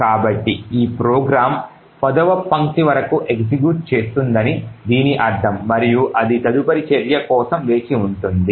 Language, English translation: Telugu, So this could mean that the program will execute until line number 10 and then it will wait for further action